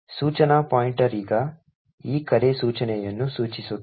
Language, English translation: Kannada, The instruction pointer now is pointing to this call instruction